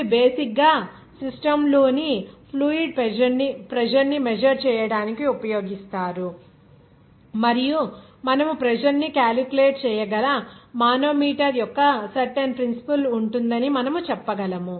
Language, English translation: Telugu, These are basically used to measure the fluid pressure in the system and also, we can say that there will be certain principle of the manometer by which you can calculate the pressure